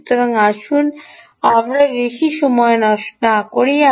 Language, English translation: Bengali, so lets not waste much time